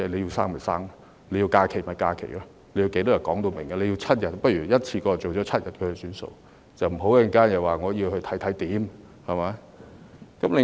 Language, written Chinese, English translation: Cantonese, 要生便生，要假期便要放假，要多少天也可說明，如果要7天，倒不如一次過訂為7天，不要之後又說要檢討情況，對嗎？, And one can simply take leave if one wants to be away from work . He can tell us how many days he wants . If he wants seven days he had better propose to set the duration of paternity leave at seven days once and for all instead of asking for a review afterwards